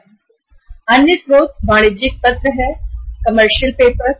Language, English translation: Hindi, The other sources are like commercial paper right